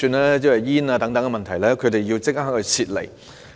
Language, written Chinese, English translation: Cantonese, 他們面對濃煙等問題，需要立即撤離。, Facing various problems such as thick smoke they must be evacuated at once